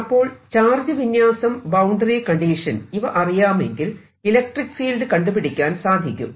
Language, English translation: Malayalam, so if i know the charge distribution and the boundary condition, i know what the electric field is and vice versa